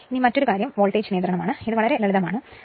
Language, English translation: Malayalam, Now, another thing is the voltage regulation; this is very simple thing